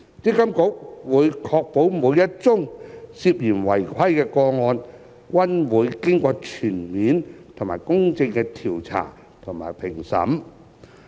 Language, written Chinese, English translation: Cantonese, 積金局會確保每宗涉嫌違規的個案均會經過全面及公正的調查和評審。, MPFA will ensure that each and every case of suspected non - compliance is investigated and evaluated thoroughly and impartially